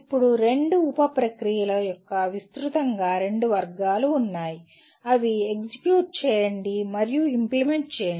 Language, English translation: Telugu, And now there are broadly two categories of two sub processes you can say execute and implement